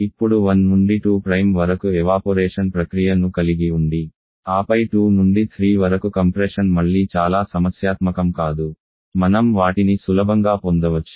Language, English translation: Telugu, Now having the evaporation process from 1 to 2 prime and then the compression from 2 to 3 Prime is again not too much problematic we can easily get them